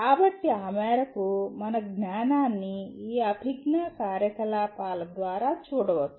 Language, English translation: Telugu, So to that extent our learning can be looked through this cognitive activities